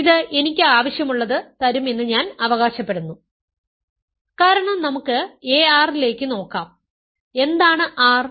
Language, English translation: Malayalam, This I claim will give me what I want because let us look at a r, what is r